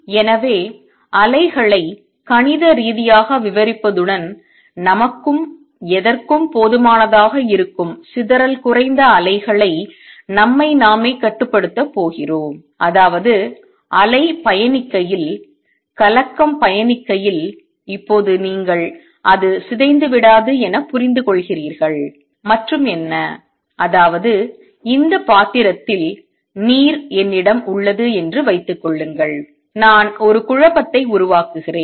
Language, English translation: Tamil, So, describing waves mathematically and we are going to restrict ourselves to dispersion less waves that is suffice for us and what; that means, as the wave travels and by that now you understand as the disturbance travels it does not get distorted and what; that means, is suppose I have this dish of water and I create a disturbance in at